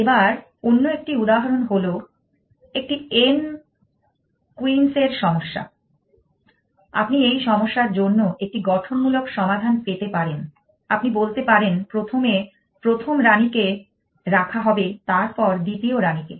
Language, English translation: Bengali, So, another example is a n queens problem, you can have a constructive solution for the problem you can say place the first queen then place the second queen